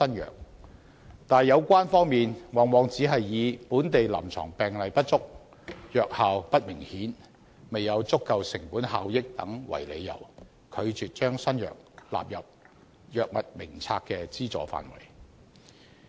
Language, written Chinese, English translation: Cantonese, 可是，有關方面往往只是以本地臨床病例不足、藥效不明顯及未有足夠成本效益等為由，拒絕把新藥納入藥物名冊的資助範圍。, However the authorities concerned often refuse to include new drugs in the scope of subsidies of the Drug Formulary on the grounds of a lack of local clinical cases insignificant efficacy of drugs and low cost - effectiveness